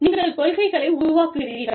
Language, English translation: Tamil, You formulate a policy